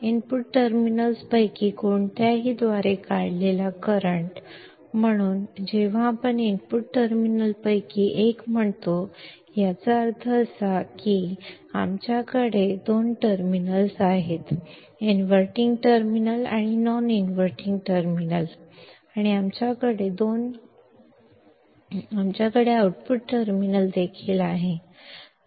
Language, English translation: Marathi, The current drawn by either of the input terminals, so when we say either of input terminals, means that, as we have two terminals, inverting terminal and non inverting terminal and we also have the output terminal